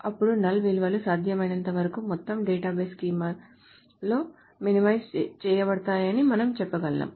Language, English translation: Telugu, Then we can say that the null values as far as possible are minimized in the entire database schema